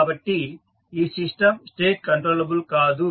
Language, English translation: Telugu, So, therefore this system is not state controllable